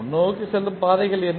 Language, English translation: Tamil, What are those forward Path